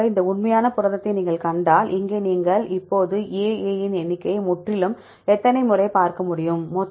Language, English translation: Tamil, Likewise if you see this real protein, here you can see now number of AA’s totally how many times A comes